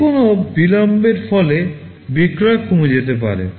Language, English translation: Bengali, Any delay can result in a drastic reduction in sales